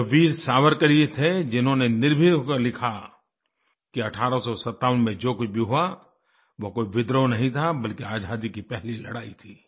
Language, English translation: Hindi, It was Veer Savarkar who boldly expostulated by writing that whatever happened in 1857 was not a revolt but was indeed the First War of Independence